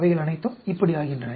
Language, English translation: Tamil, They all become like this